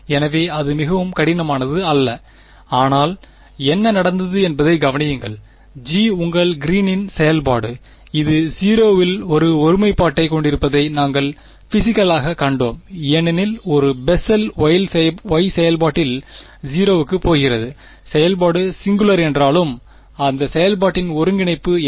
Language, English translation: Tamil, So, it is not very complicated, but just notice what happened, G is your greens function, we have intuit physically seen that it has a singularity at 0 because at a Bessel y function was going to 0, even though the function is singular what is the integral of that function